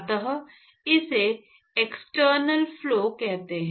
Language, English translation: Hindi, So, that is what is called as an external flow